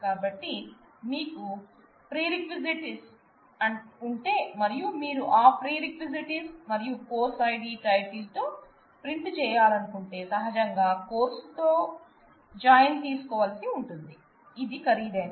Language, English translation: Telugu, So, if we of course, if you have prerequisites and if you want to say, view or print prerequisites with that title and course id naturally you will have to take a join with the course, which is expensive